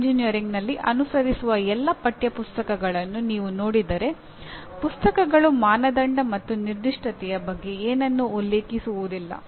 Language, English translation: Kannada, What happens if you look at all the text books that are followed in engineering we hardly the books hardly mention anything about criteria and specification